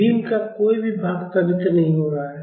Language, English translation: Hindi, The none of the beam parts are accelerating